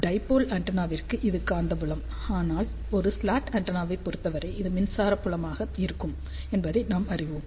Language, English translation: Tamil, So, we know that for a dipole antenna this is magnetic field, but for a slot antenna, it will be electric field ok